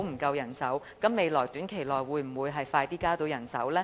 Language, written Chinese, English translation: Cantonese, 當局在短期內會否盡快增加人手？, Will the authorities increase the manpower as soon as possible?